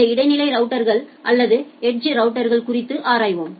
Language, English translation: Tamil, We will look into these intermediate routers or the edge routers